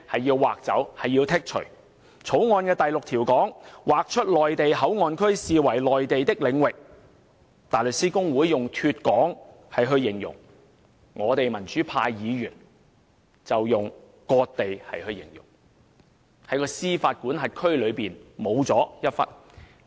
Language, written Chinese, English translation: Cantonese, 根據《條例草案》第6條，被劃出的內地口岸區視為內地領域，大律師公會用"脫港"來形容，而我們民主派議員則用"割地"來形容，即香港的司法管轄區少了一部分。, According to clause 6 of the Bill the designated Mainland Port Area MPA will be regarded as lying within the Mainland . While the Bar Association described this as de - established pro - democracy Members described this as cession of land which means that a part of Hong Kong has been removed from its jurisdiction